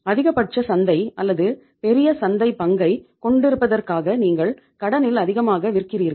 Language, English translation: Tamil, You are selling too much on the credit to have the maximum market or the larger market share; you need huge amount of working capital